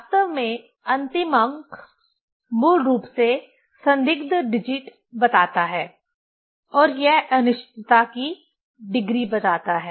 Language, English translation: Hindi, Actually last digit tells, basically doubtful digital and it tells the degree of uncertainty